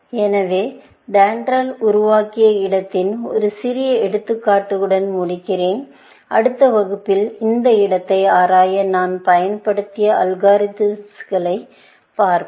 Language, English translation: Tamil, So, let me just end with a small example of the kind of space that DENDRAL generated, and in the next class, we will see the algorithms, which I used to explore this space